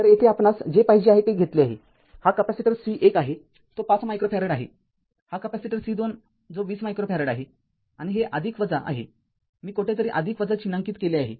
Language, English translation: Marathi, So, here we have taken we want this is the capacitor C 1 it is 5 micro farad this is capacitor C 2 20 micro farad, and this is plus minus some where I have marked plus minus